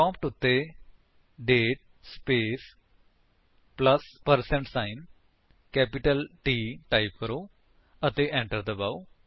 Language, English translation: Punjabi, Type at the prompt: date space plus percentage sign small m and press Enter